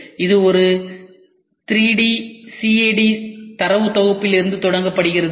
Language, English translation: Tamil, It starts from a 3D CAD dataset that represents the part to be produced